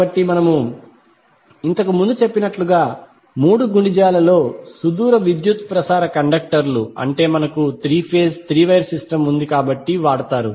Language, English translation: Telugu, So as we mentioned earlier the long distance power transmission conductors in multiples of three, that is we have three phase three wire system so are used